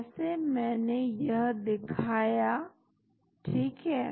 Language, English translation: Hindi, Like I showed here right